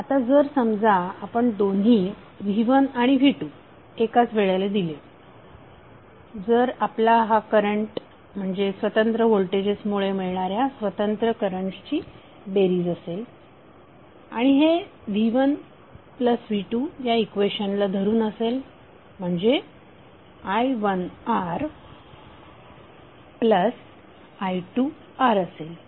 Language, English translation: Marathi, Now when you apply both V1 and V2 at the same time suppose if you are current should be sum of individual currents provided by individual voltages and it will follow this equation like V1 plus V2 would be equal to i1 R plus i2 R